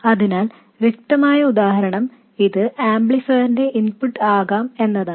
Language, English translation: Malayalam, So, the obvious example is it could be the input of the amplifier